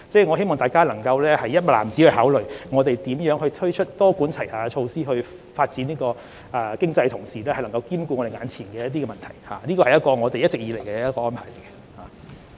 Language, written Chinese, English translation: Cantonese, 我希望大家能夠"一籃子"考慮我們如何多管齊下，在發展經濟的同時，兼顧眼前的問題，這是我們一直以來的理念。, I hope that you will look at the full picture and consider how we have adopted a multi - pronged approach to pursue economic development and at the same time cope with immediate problems . This has been our guiding principle all along